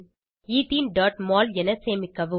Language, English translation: Tamil, Save as Ethene.mol